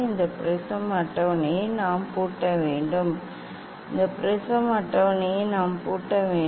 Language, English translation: Tamil, we should lock this prism table; we should lock prism table we should lock this prism table